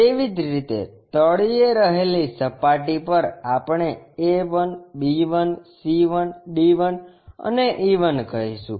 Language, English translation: Gujarati, Similarly, at the bottom ones let us call A 1, B 1, C 1, D 1, and E 1